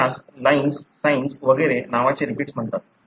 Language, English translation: Marathi, See, there are repeats called LINEs, SINEs and so on